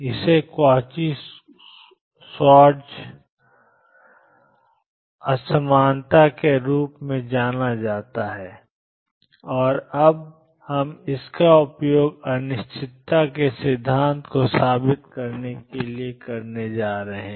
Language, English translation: Hindi, This is known as the Cauchy Schwartz inequality and we are going to use this now to prove the uncertainty principle